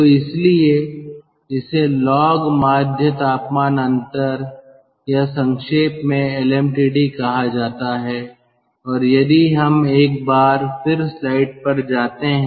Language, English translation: Hindi, so thats why it is called log mean temperature difference or, in abbreviation, lmtd